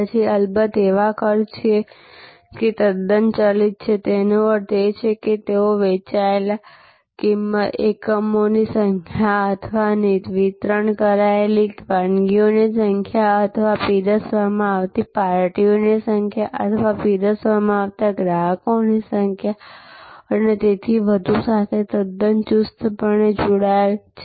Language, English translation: Gujarati, Then of course, there are costs which are totally variable; that means, they are quite tightly tied to the number of units sold or number of dishes delivered or number of parties served or number of customer served and so on